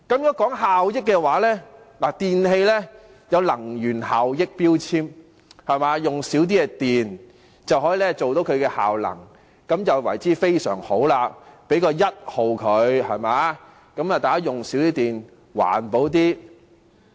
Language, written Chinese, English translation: Cantonese, 說到效益，電器有能源標籤，耗用較少電力便會有較高的能源效益，這便非常好，可獲得 "1 級"，令大家環保一點，減少用電。, Speaking of efficiency we have in place energy efficiency labelling for electrical appliances whereby a product consuming less electricity has higher energy efficiency which is very good and the product can be classified as Grade 1 so as to enable the public to be more environmentally - friendly and reduce their electricity consumption